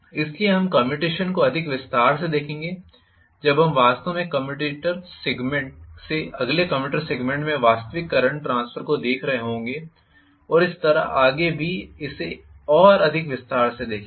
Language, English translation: Hindi, So, we will look at commutation in a greater detail when we are actually looking at the actual current transfer from one commutator segment to the next commutator segment and so on and so forth will be looking at it in greater detail